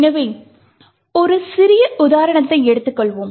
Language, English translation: Tamil, So, let us take a small example